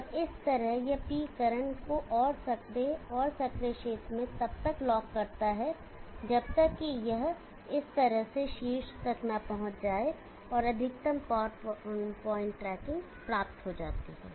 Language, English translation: Hindi, And thereby locks this P current within the narrow and narrow region till it reaches the top in this way maximum power point tracking is achieved